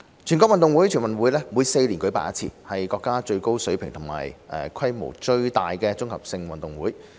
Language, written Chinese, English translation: Cantonese, 全國運動會每4年舉辦一次，是國家最高水平和規模最大的綜合性運動會。, NG which is held once every four years is the nations highest level and largest national multi - sports event